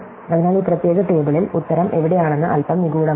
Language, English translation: Malayalam, So, in this particular table, it is a bit mysterious, where the answer is